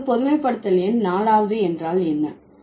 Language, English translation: Tamil, Now, what is the generalization number four